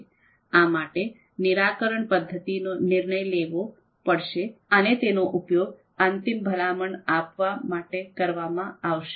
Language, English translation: Gujarati, So this resolution method has to be decided which will actually finally we use to provide the final recommendation